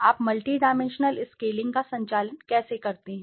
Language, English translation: Hindi, How do you conduct the multidimensional scaling